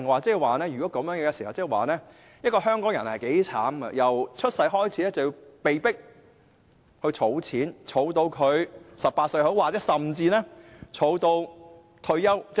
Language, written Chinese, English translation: Cantonese, 若然如此，香港人也相當可悲，因為打從出生那天便被迫儲蓄，直至18歲甚或65歲的退休年齡。, In that case people in Hong Kong are rather pathetic because they will be forced to make savings from their birth to the age of 18 or even the retirement age of 65